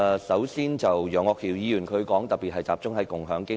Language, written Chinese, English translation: Cantonese, 首先，楊岳橋議員的修正案特別集中討論共享經濟。, First Mr Alvin YEUNGs amendment focuses mainly on sharing economy